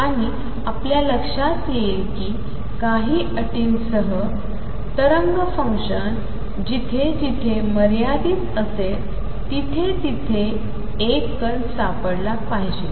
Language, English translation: Marathi, And the boundary condition is going to be as we said earlier that wave function wherever it is finite there is a particle is to be found there